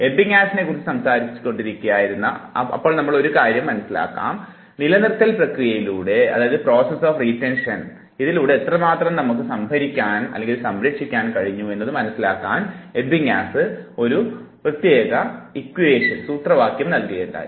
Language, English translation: Malayalam, But because we are talking about Ebbinghaus, so let us understand one thing, Ebbinghaus also gave a formula to understand how much we save in the process of retention